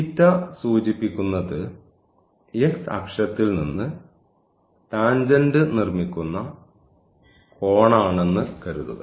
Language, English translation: Malayalam, So, theta is the angle which this tangent makes with the x axis